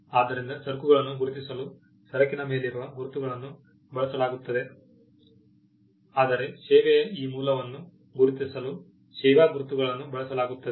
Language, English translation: Kannada, So, goods marks are used for recognizing goods whereas, service marks are used to recognize this source of the service